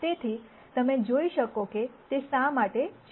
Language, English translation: Gujarati, So, you can see why that is